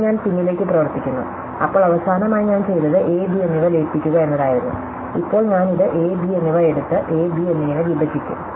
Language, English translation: Malayalam, And now I work backwards, so the last thing that I did was to merge a and b, now I will take this a and b thing and split it has a and b